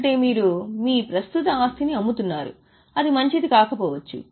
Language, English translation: Telugu, That means you are selling your existing asset, which may not be good